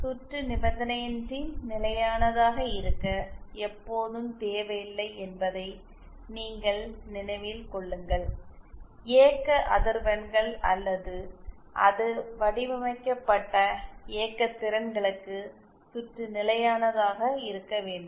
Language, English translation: Tamil, Now mind you one thing that it is not necessary always to for the circuit to be unconditionally stable the circuit has to be stable for the operating frequencies or the operating powers that it is designed for